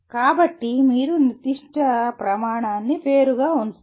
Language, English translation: Telugu, So you will keep that particular criterion separate